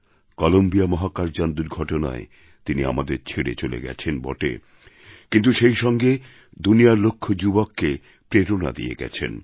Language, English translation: Bengali, She left us in the Columbia space shuttle mishap, but not without becoming a source of inspiration for millions of young people the world over"